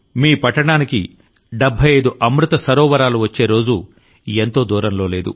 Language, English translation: Telugu, The day is not far when there will be 75 Amrit Sarovars in your own city